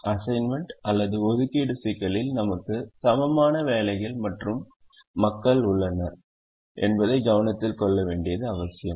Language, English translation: Tamil, it's very important to note that in the assignment problem we have an equal number of jobs and people